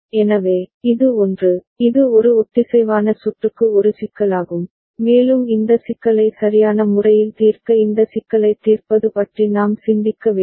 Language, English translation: Tamil, So, this is something which is the, which is a problem with a synchronous circuit, and we need to think of getting around, solving this problem addressing this problem right